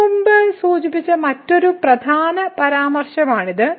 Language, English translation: Malayalam, So, this is another important remark which I have mentioned before